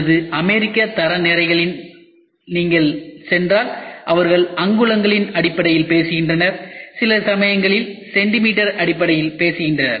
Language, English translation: Tamil, If you go for or American Standards they talk about in terms of inches and sometimes they talk about in terms of centimetres